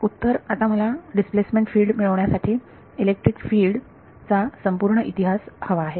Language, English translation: Marathi, So, now, I need full time history of electric field to get displacement field